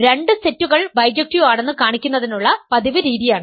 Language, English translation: Malayalam, This is the usual way of showing two sets are bijective